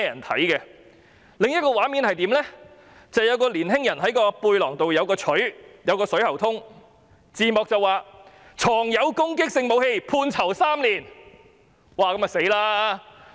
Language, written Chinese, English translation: Cantonese, 短片的另一個畫面是一名青年人，背包內有鎚子和水喉通，字幕寫上"藏有攻擊性武器最高判刑3年"。, In another API inside the backpack of a young man there is a hammer and a metal pipe . The caption reads Possession of Offensive Weapon Maximum Penalty Three Years